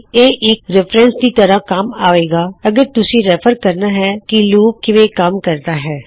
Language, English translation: Punjabi, This will be useful as a reference also if you need to refer to how a particular loop works